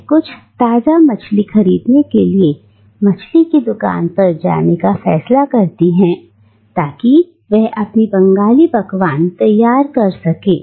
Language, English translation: Hindi, And she decides to go to a fish shop to buy some fresh fish so that she can prepare her Bengali dish